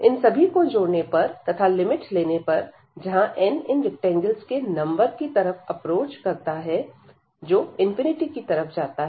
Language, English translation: Hindi, Adding all these and then taking the limit as n approaches to the number of these rectangles goes to infinity